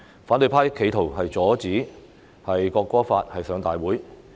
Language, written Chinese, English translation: Cantonese, 反對派企圖阻止《條例草案》提交至立法會會議。, The opposition camp attempted to obstruct the tabling of the Bill to the Council